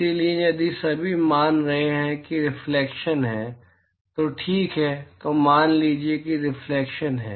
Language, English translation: Hindi, So, if all of the is supposing if there is reflection, right then supposing if there is reflection